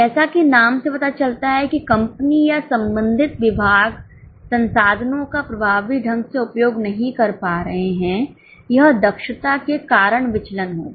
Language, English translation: Hindi, As the name suggests, if company or the concerned department is not using the resources effectively, it will be the variance due to efficiency